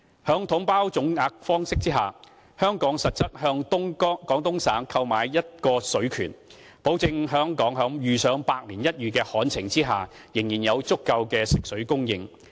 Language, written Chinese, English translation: Cantonese, 在"統包總額"方式下，香港實質是向廣東省購買一個水權，保證香港在遇上百年一遇的旱情下，仍然有足夠的食水供應。, Under the package deal lump sum approach Hong Kong is actually buying a right to water in Guangdong ensuring that in case Hong Kong faces the most serious drought in a century it will still have enough freshwater supplies